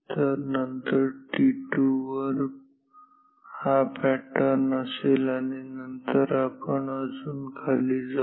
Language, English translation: Marathi, So, then this will be the pattern at t 2 and then we will go down further ok